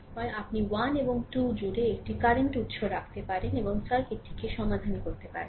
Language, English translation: Bengali, Similarly, your either you can put a current source across 1 and 2 and solve the circuit